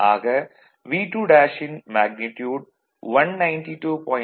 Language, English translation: Tamil, So, V 2 dash is 192